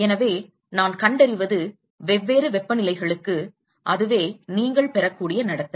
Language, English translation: Tamil, So, what I find is for different temperatures, that is the kind of behaviour that you will get